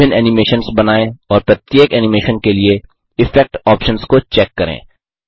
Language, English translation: Hindi, Create different animations and Check the Effect options for each animation